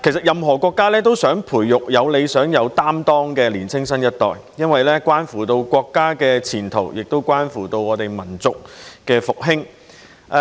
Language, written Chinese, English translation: Cantonese, 任何國家也希望培育有理想、有擔當的年青新一代，因為這關乎國家的前途和民族的復興。, Every nation hopes to teach its younger generation to have ideals and a sense of responsibility for this has a bearing on the future of the country and the revival of the nation